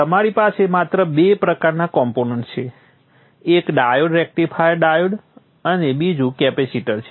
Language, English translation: Gujarati, One is the diode, rectifier diode, and the other one is the capacitor